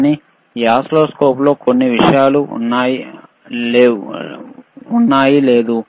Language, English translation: Telugu, But there are a few things in this oscilloscope which this one does not have